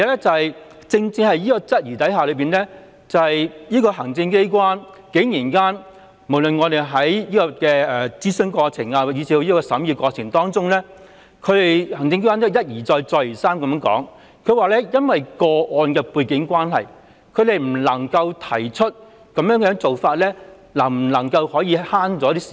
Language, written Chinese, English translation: Cantonese, 再者，雖然此點備受質疑，但行政機關無論是在諮詢過程以致審議過程當中，竟然一而再、再而三說由於個案的背景關係，他們不能夠指出新安排能否節省時間。, Notwithstanding this the Executive Authorities have from consultation to scrutiny said repeatedly that they could not state whether the new arrangement could save time given the different background of cases